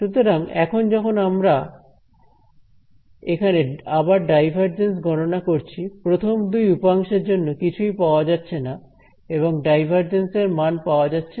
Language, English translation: Bengali, So, when I calculate the divergence over here again these two guys are going to contribute nothing and I am left with it has unit divergence